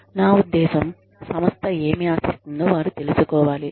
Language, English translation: Telugu, I mean, they need to know, what the organization, expects from them